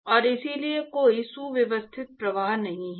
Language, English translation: Hindi, And so there is no streamline flow